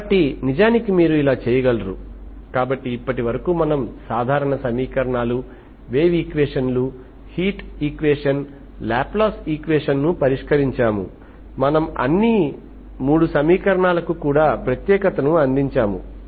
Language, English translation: Telugu, So this is how you can actually, so this so far we have solved typical equations, wave equation, heat equation, Laplace equation, we have provided on, we have provided uniqueness also for all the 3 equations